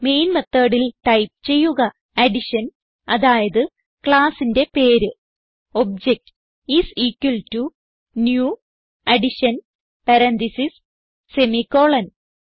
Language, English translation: Malayalam, So in the Main method type Addition i.e the class name obj is equalto new Addition parentheses semicolon